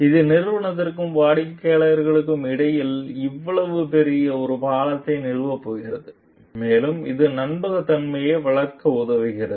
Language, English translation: Tamil, So, this is going to establish a bridge between the organization and the customer such a large and also it helps to develop trustworthiness